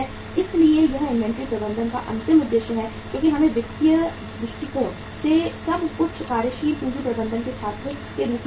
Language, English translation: Hindi, So that is the ultimate objective of the inventory management because we have to look at at as a student of working capital management everything from the financial angle